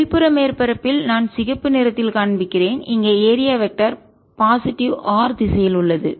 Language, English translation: Tamil, on the outer surface, on the other hand, which i'll make by red, the area vector is in the positive r direction